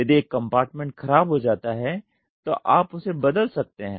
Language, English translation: Hindi, If one compartment goes bad you can replace it